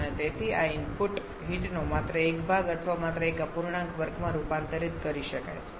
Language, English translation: Gujarati, And therefore only a portion or only a fraction of this input heat can be converted to work